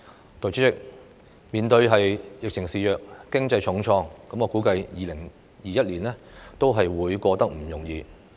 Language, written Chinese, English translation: Cantonese, 代理主席，面對疫情肆虐、經濟重創，我估計2021年不會過得容易。, Deputy President I do not think 2021 will be easy in the face of the pandemic outbreak and the hard - hit economy